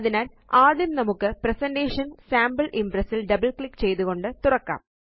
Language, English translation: Malayalam, So first, let us open our presentation Sample Impress by double clicking on it